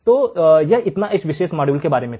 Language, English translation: Hindi, So, this is all about this particular module